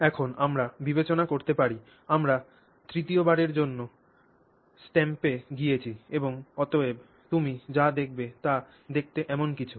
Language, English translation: Bengali, Now we can consider we have gone to the third time stamp and therefore what you will see is something that looks like that